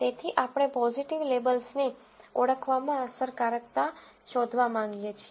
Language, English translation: Gujarati, So, we want to find the effectiveness in identifying positive label